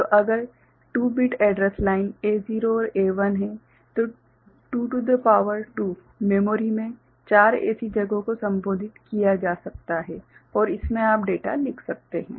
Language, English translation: Hindi, So, if there is a 2 bit address line say A naught and A1, then 2 to the power 2, 4 such places in the memory can be addressed right and in that you can write data, right